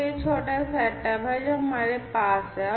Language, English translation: Hindi, So, this is this small setup that we have